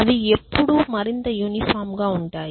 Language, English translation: Telugu, When will they become more and more uniform